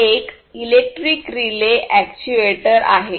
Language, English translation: Marathi, So, this is a relay, which is an actuator